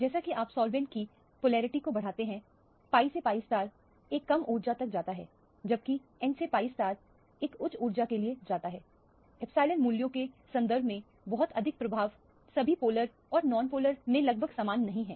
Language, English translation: Hindi, As you increase the polarity of the solvent, the pi to pi star goes to a lower energy whereas the n to pi star goes to a higher energy, not much of an effect in terms of the epsilon values are nearly the same in all the polar as well as the non polar solvents